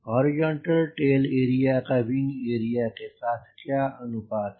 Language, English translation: Hindi, what is the ratio of horizontal tail with wing area